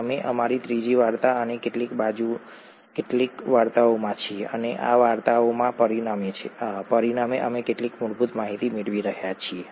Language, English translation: Gujarati, We are into our third story and some side stories and as a result of these stories we are picking up some basic information